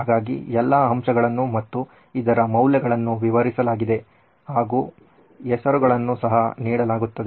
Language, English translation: Kannada, So all the elements are described, the values here are described and the names are given as well